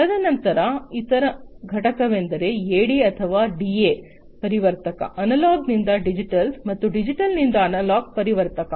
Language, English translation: Kannada, And then the other component is the AD or DA converter, Analog to Digital and Digital to Analog converter